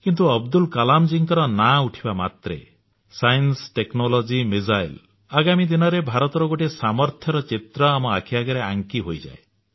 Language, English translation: Odia, The mere mention of Abdul Kalamji's name brings to mind vivid images of science, technology, missiles in fact the entire spectrum of strengths and capabilities of India in the days to come